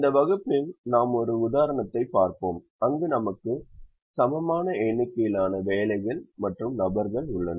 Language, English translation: Tamil, in this class we will look at an example where we have an unequal number of jobs and people